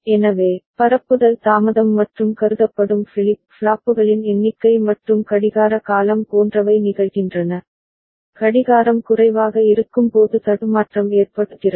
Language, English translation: Tamil, So, propagation delay and the number of flip flops considered and the clock period are such that it is occurring, the glitch is occurring when the clock is low ok